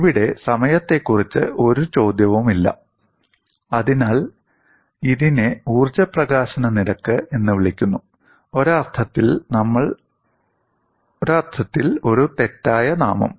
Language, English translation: Malayalam, Here, there is no question of time is brought in; so, calling this as energy release rate, in a sense a misnomer